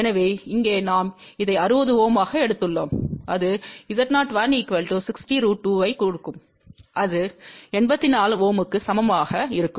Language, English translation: Tamil, So, this one here we have taken as 60 Ohm and that gives Z O 1 will be equal to 60 multiplied by square root 2 and that comes out to be approximately equal to 84 Ohm